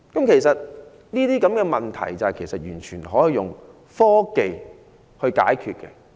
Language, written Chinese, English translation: Cantonese, 其實這些問題都可以靠科技解決。, Actually these problems could be solved by technology